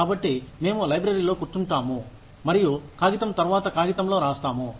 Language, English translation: Telugu, So, we would just sit in the library, and note down, paper after paper